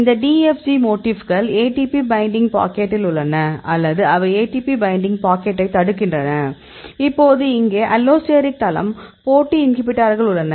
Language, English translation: Tamil, So, this DFG motifs either it is in the ATP binding pocket or they block ATP binding pocket; now that is the allosteric site here that is the competitive inhibitors